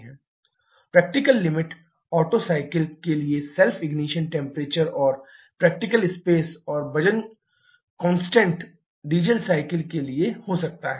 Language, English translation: Hindi, Practical limit can be the self ignition temperature for Otto cycle and the practicable space and weight constant corresponding to the diesel cycle